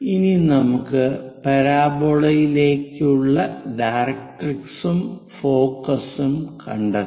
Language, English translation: Malayalam, Now let us find out directrix and focus to your parabola